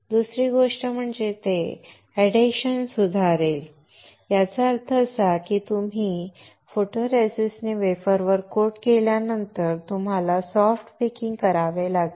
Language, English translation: Marathi, Then the second thing is that it will improve the adhesion; which means that once you coat on the wafer with the photoresist, you have to perform soft baking